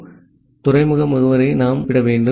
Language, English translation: Tamil, So, we need to specify the port address